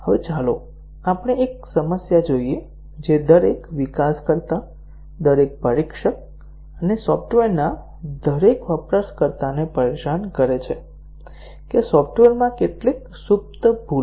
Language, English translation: Gujarati, Now, let us look at one problem which bothers every developer, every tester and every user of software; that how many latent bugs are there in the software